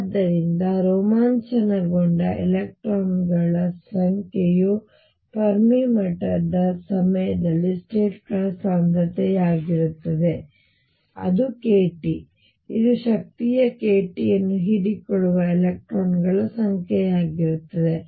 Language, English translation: Kannada, So, number of electrons exited is going to be density of states at the Fermi level times k t, this is going to be number of electrons absorbing energy k t